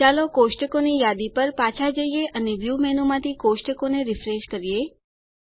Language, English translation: Gujarati, Let us go back to the Tables list and Refresh the tables from the View menu